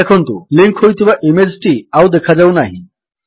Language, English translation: Odia, You see that the linked image is no longer visible